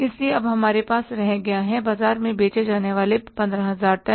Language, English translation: Hindi, So we are left with the 15,000 tons to be sold in the market